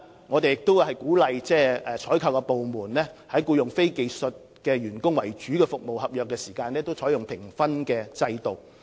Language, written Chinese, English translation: Cantonese, 我們亦鼓勵採購部門在處理僱用非技術員工為主的服務合約時，採用評分制度。, We have also encouraged procurement departments to adopt a scoring system when handling service contracts involving the employment of a large number of non - skilled workers